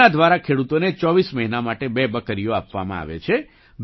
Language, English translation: Gujarati, Through this, farmers are given two goats for 24 months